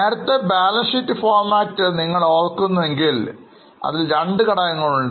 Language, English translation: Malayalam, If you remember the format of balance sheet earlier, it has two components